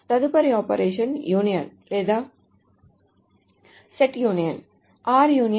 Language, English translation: Telugu, The next operation is the union or the set union